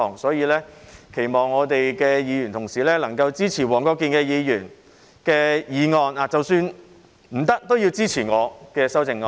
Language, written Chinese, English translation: Cantonese, 因此，期望議員同事能夠支持黃國健議員的修正案，而即使不支持他，也要支持我的修正案。, Thus I hope that Members will support Mr WONG Kwok - kins amendment; if not I hope that they will support mine